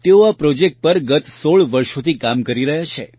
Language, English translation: Gujarati, She has been working on this project for the last 16 years